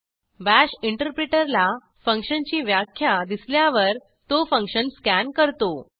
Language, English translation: Marathi, # When the bash interpreter visits the function definition, it simply scans the function